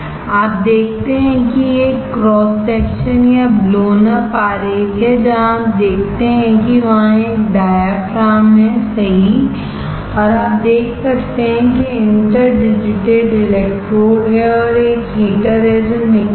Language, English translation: Hindi, You see this is a cross section or blown up diagram where you see there is a diaphragm right, and you can see there are interdigitated electrodes and there is a heater which is nickel